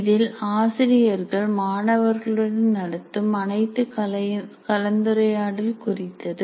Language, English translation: Tamil, It refers to all the interactions teachers have with the students